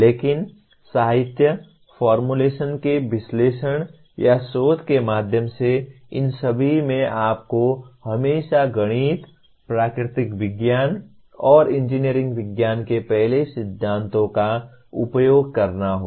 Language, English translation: Hindi, But in all these through the analysis or researching the literature, formulation, you have to be always using first principles of mathematics, natural sciences, and engineering sciences